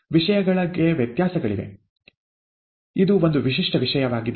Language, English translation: Kannada, There are variations to the theme, this is a typical theme